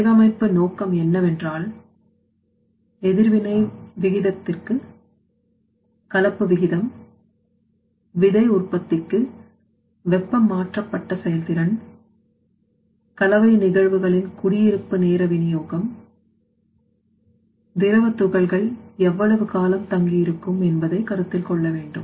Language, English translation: Tamil, So that is why the design aim is to mixing rate to reaction rate to be considered, heat transferred performance to heat generation, residence time distribution of course that mixing phenomena will give you the residence time distribution how long that fluid particles will residing inside the reactor